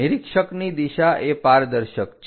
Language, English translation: Gujarati, The observer direction is transparent